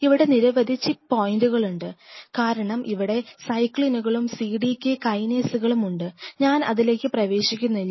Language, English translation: Malayalam, There are several chip points here as this several cyclins and cdk kinases which are involved I am not getting in into those